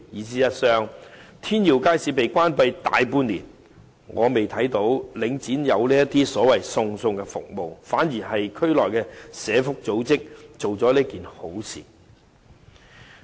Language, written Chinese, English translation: Cantonese, 事實上，天耀邨街市已關閉大半年，我看不到領展有這些所謂送餸服務，反而是區內的社福組織做了這件好事。, In fact Tin Yiu Market has now been closed for the greater part of the year and I have not seen any so - called meal delivery service provided by Link REIT